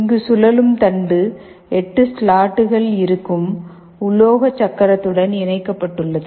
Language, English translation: Tamil, The rotating shaft is connected to the metal wheel where there are 8 slots